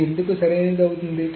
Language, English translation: Telugu, Why is this going to be correct